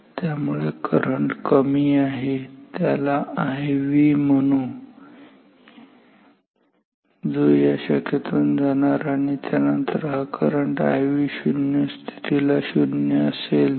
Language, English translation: Marathi, So, this current this small current call it I V through this branch then these this current then I V is 0 at null ok